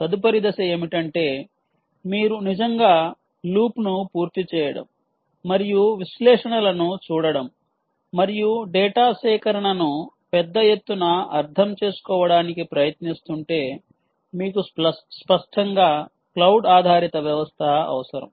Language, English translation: Telugu, if you are really looking at completing the loop and looking at analytics and you are looking at ah, trying to understand data collection in a big way, you obviously need a cloud based system, right